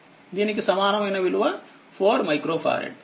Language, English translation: Telugu, So, this equivalent of this 4 micro farad